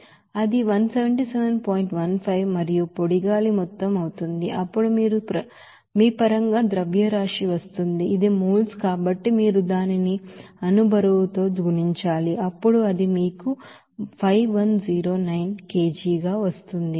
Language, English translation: Telugu, 15 and amount of dry air then in terms of you know mass it will be coming that since it is moles then you have to multiply it by molecular weight then it is coming as 5109 you kg